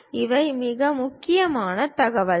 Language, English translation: Tamil, These are the most important information